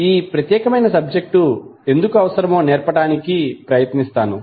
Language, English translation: Telugu, I will try to understand why this particular this subject is required